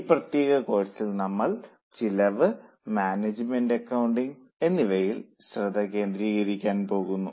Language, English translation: Malayalam, In this particular course we are going to focus on cost and management accounting